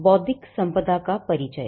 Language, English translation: Hindi, What is an intellectual property